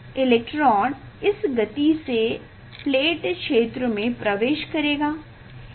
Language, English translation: Hindi, this is the, so then electron when it will enter into this plate region